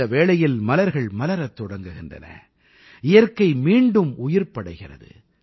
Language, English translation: Tamil, At this very time, flowers start blooming and nature comes alive